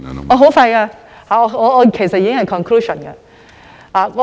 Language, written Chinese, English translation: Cantonese, 我很快便會說完，其實已經進入總結。, I will finish my speech in a minute and actually I am about to conclude